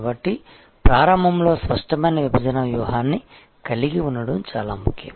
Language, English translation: Telugu, So, initially it is very important to have a clear cut segmentation strategy